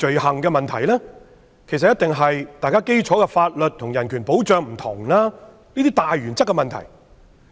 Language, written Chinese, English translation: Cantonese, 其實，問題一定是出於雙方的基礎法律和人權保障不同等大原則。, As a matter of fact the disagreement definitely lies in some major issues such as the differences in basic legal ideas and human rights protection between the two sides